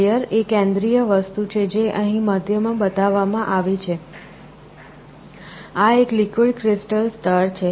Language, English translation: Gujarati, The central thing is a layer, which is shown here in the middle, this is a liquid crystal layer